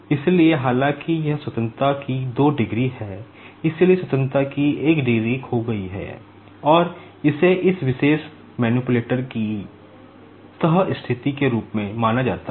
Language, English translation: Hindi, So, although it is having two degrees of freedom, so one degree of freedom is lost, and this is known as the folded back situation of this particular the manipulator